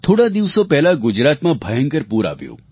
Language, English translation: Gujarati, Gujarat saw devastating floods recently